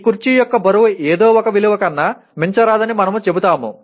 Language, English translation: Telugu, We will say the weight of this chair should not exceed something